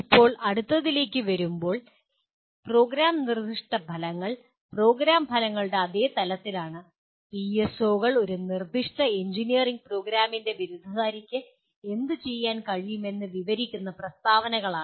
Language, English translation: Malayalam, Now, coming to the next one, the program specific outcomes which we consider are at the same level as program outcomes, PSOs are statements that describe what the graduate of a specific engineering program should be able to do